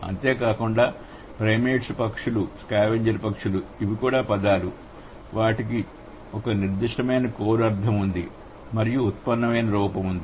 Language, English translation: Telugu, Besides that, the primates, the birds, the scavenger birds, these are also the words that has been a certain core meaning and then there is, there is, let's say, derived form